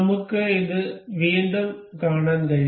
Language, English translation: Malayalam, We can see it again